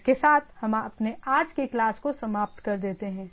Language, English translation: Hindi, So, with this we let us end our today’s class